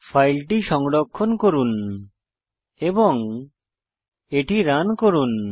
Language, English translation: Bengali, Save the file run it